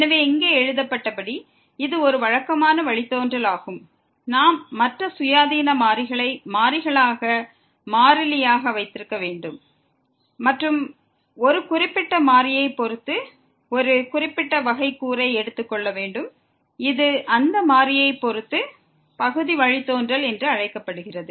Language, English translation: Tamil, So, as written here it is a usual derivative, when we have to keep other independent variable as variables as constant and taking the derivative of one particular with respect to one particular variable and this is called the partial derivative with respect to that variable